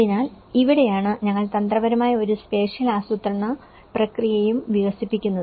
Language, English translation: Malayalam, So, this is where we also develop a strategic spatial planning process